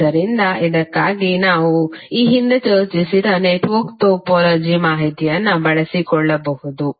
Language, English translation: Kannada, So for this you can utilize the network topology information which we discussed previously